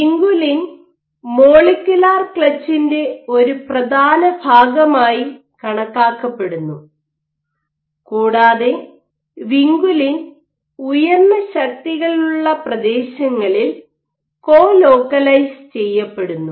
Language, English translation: Malayalam, Now, vinculin is also assumed to be an important part of the molecular clutch and vinculin is known to colocalize with areas of high forces during leading edge protrusion